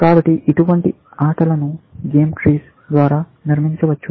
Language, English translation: Telugu, So, such games can be represented by a game tree